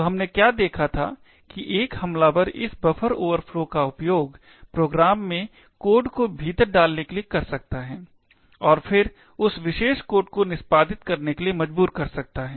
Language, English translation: Hindi, So, what we seen was that an attacker could use this buffer overflows to inject code into a program and then force that particular code to execute